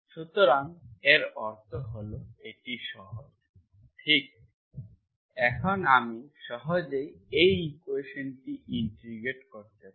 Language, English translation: Bengali, So that means that is easy, right, I can simply, now I can easily, I can simply integrate this equation